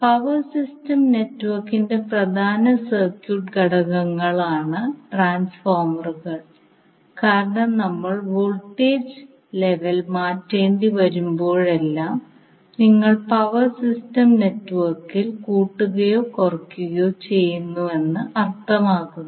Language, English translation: Malayalam, Transformer are the key circuit elements of power system network why because whenever we have to change the voltage level that means either you are stepping up or stepping down in the power system network you need transformer for those cases